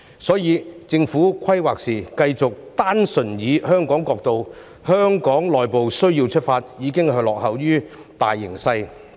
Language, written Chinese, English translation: Cantonese, 因此，政府在規劃時繼續單純從香港角度及內部需要出發，已是落後於大形勢。, Thus the Government will be lagging behind the major trend if it continues to draw up plans purely from the perspective of Hong Kong and our internal needs